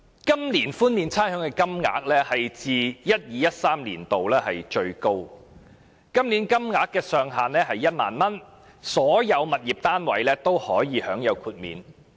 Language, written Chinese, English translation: Cantonese, 今年寬免差餉的金額是自 2012-2013 年度以來最高的，金額上限為1萬元，所有物業單位均可獲豁免。, The amount of rates exempted this year is the highest since 2012 - 2013 with the ceiling at 10,000 and all tenements are included